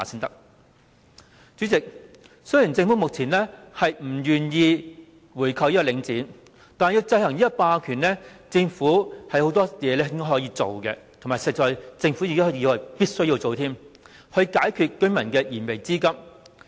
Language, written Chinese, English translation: Cantonese, 主席，雖然政府目前不願意購回領展，但要制衡這個霸權，政府有很多事情可以做，而且是必須做的，以解居民的燃眉之急。, President although the Government is unwilling to buy back Link REIT now there is still a lot that the Government can and must do to counteract this hegemony of Link REIT and address the pressing needs of the residents